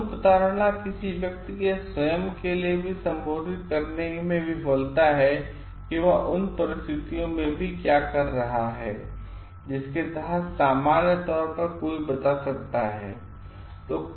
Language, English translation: Hindi, Self deception is a failure to spell out even to one's own self what one is doing even in circumstances which one can normally tell